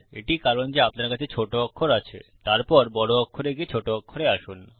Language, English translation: Bengali, Which is why you have lower case, then going to upper case, back to lower case